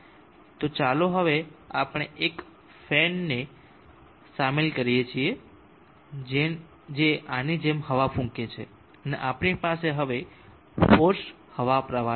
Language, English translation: Gujarati, So let us now include a fan which is going to blow air like this and we now have a forced air flow